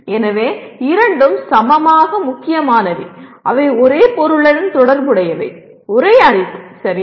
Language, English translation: Tamil, So both are equally important and they are related to the same object, same knowledge, okay